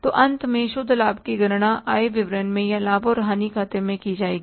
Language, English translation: Hindi, So, finally, the net profit will be calculated in the income statement or in the profit and loss account